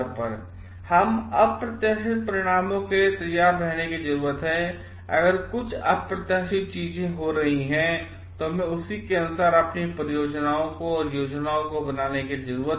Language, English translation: Hindi, We need to be prepared for unexpected results and we need to make our plans accordingly if some unexpected things are happening